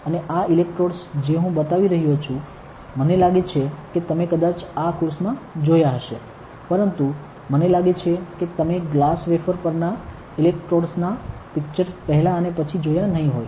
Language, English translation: Gujarati, And this electrode which I am showing I think you might have seen previously in the course, but I think you might not have seen before and after pictures of the electrodes on the glass wafer